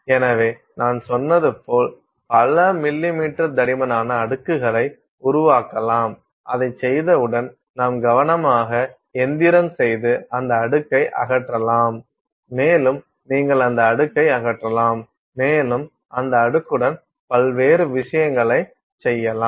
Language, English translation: Tamil, So, like I said you can make several millimeter thick layers and once you have done that, you can carefully machine and remove that layer and you can remove that layer and you can do various things with that layer